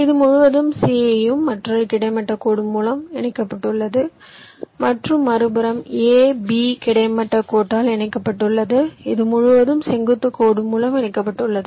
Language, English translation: Tamil, this whole thing, and c is connected by another horizontal line and the other side, a, b, is connected by horizontal line, a, b by horizontal line, this whole thing and this whole thing connected by a vertical line, this vertical line